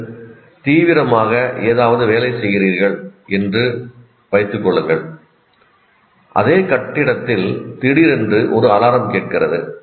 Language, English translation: Tamil, An example is you are working on something intently and you suddenly hear an alarm in the same building